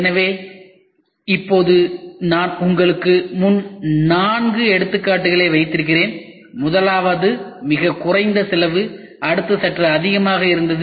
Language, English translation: Tamil, So, now, I have put in front of you four examples the first one was very low cost, next one was slightly higher